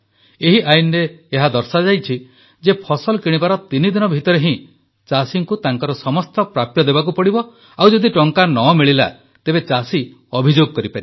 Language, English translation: Odia, Under this law, it was decided that all dues of the farmers should be cleared within three days of procurement, failing which, the farmer can lodge a complaint